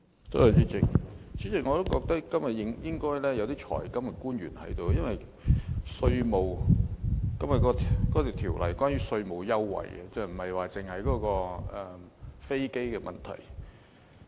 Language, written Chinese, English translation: Cantonese, 主席，我認為今天應該要有財金官員出席，因為《2017年稅務條例草案》是關於稅務優惠的，而不只是飛機的問題。, Chairman I think government officials responsible for financial and monetary affairs should attend the meeting today because the Inland Revenue Amendment No . 2 Bill 2017 the Bill is not only about aircraft leasing business but also about tax concessions